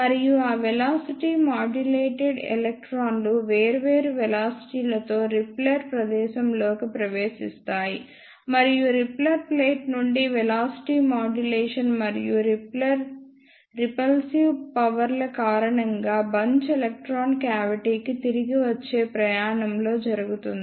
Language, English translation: Telugu, And those velocity modulated electrons enter the repeller space with different velocities and because of the velocity modulation and repulsive forces from the repeller plate the bunching takes place in the return journey of the electron to the cavity